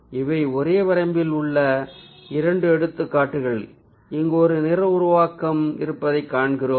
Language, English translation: Tamil, so these are two of the examples in the same range where we see that there is a ah monochromatic formation that is taking place